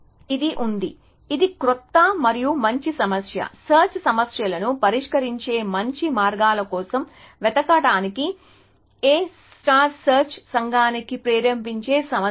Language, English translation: Telugu, So, this has been, this has been a motivating problem for A I search community to look for newer and better problem, better ways of solving search problems